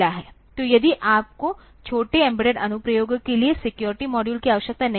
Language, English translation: Hindi, So, if you do not need the security modules for small embedded applications